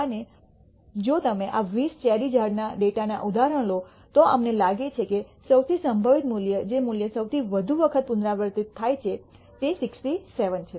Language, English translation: Gujarati, And if you take the example of this 20 cherry trees data, we find that the most probable value, the value that repeats more often, is 67